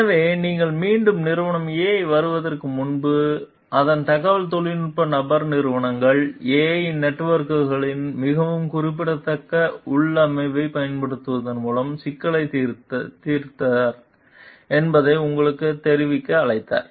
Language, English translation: Tamil, So, before you got back to company A, its IT person called to inform you that he had solved the issue by using a very specific configuration of companies A s networks